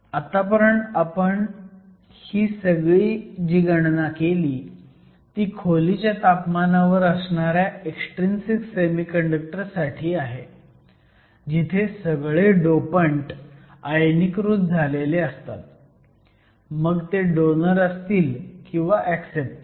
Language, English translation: Marathi, So, all these calculations that you have done so far is for an extrinsic semiconductor at room temperature, where all the dopants are ionized, whether there be donors or acceptors